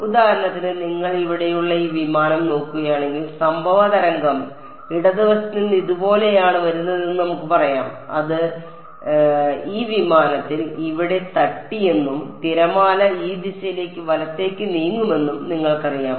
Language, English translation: Malayalam, For example, if you look at this aircraft over here let us say the incident wave is coming from the left hand side like this its possible that you know it hits this aircraft over here and the wave goes off in this direction right